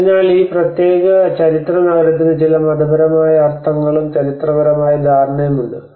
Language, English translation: Malayalam, So this particular historic city has some religious meanings and the historical understanding to it